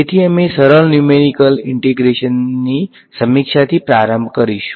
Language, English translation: Gujarati, So, we will start with the review of Simple Numerical Integration ok